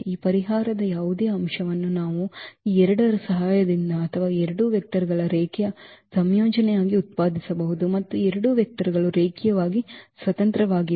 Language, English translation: Kannada, We can generate any element of this solution set with the help of these two or as a linear combination of these two 2 vectors and these two vectors are linearly independent